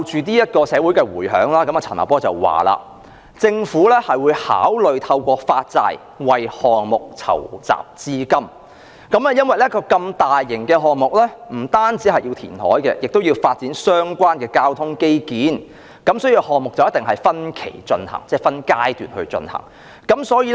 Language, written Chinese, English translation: Cantonese, 對於社會的迴響，陳茂波是這樣說的："政府會考慮透過發債為項目籌集資金，因為一個如此大型的項目，不單要填海，也要發展相關的交通基建，所以項目一定會分期進行，即分階段進行。, Responding to societys reaction Paul CHAN said to the effect that the Government will consider raising funds for the project through issuing bonds since a project of such a large scale will not only involve reclamation but also the development of related transport infrastructure . Therefore the project must be carried out in different stages that is in phases